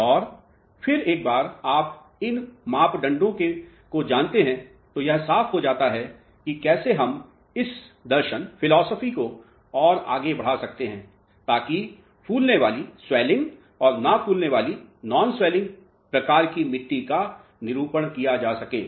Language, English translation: Hindi, And then once you know these parameters how we can extend this philosophy further to characterize swelling and non swelling type of soils clear